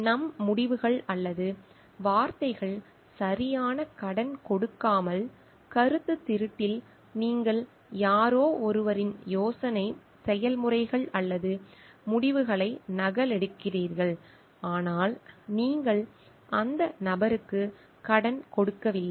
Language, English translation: Tamil, Our results or words without giving proper credit, in plagiarism you are just copying somebody's ideas processes or results, but you are not giving credit to that person